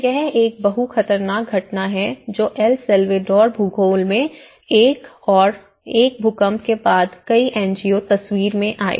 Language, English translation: Hindi, So, this is a multiple hazard phenomenon which existed in El Salvador geography and one is after the earthquake obviously, with many NGOs come into the picture